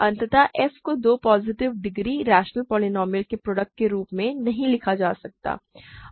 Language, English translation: Hindi, So, f cannot be written as a product of two positive degree rational polynomials